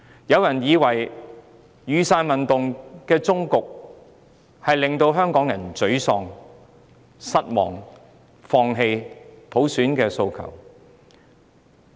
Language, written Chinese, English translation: Cantonese, 有人以為雨傘運動的終結，會令香港人感到沮喪、失望，放棄他們的普選訴求。, Some people may think that the conclusion of the Umbrella Movement would bring frustration and disappointment among Hong Kong people who would then give up their aspirations for universal suffrage